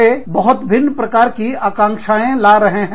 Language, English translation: Hindi, They are bringing, very different skill sets